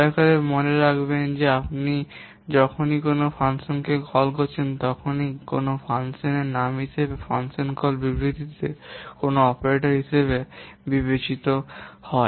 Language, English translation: Bengali, Please remember whenever you are calling a function, invoking a function, the function name that in a function call statement is also considered as an operator